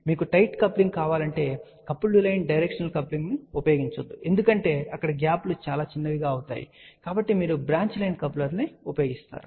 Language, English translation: Telugu, And if you want a tight coupling do not use coupled line directional coupling because there the gaps become very small you use branch line coupler